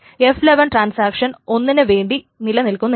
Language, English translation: Malayalam, F1 doesn't even exist for transaction 1